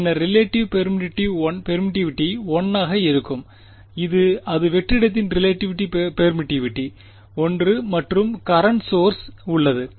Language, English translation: Tamil, Then the relative permittivity will be 1 that relative permittivity of vacuum is 1 and current source is present